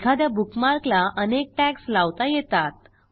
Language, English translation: Marathi, You can access bookmarks in many ways